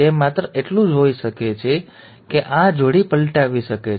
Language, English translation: Gujarati, It can just be that this pair can be flipping over